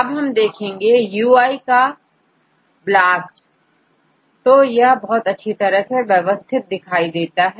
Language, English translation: Hindi, If you look at the UI of the BLAST, it is very well organized